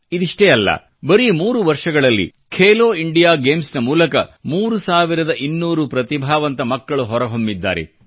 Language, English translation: Kannada, Not only this, in just three years, through 'Khelo India Games', thirtytwo hundred gifted children have emerged on the sporting horizon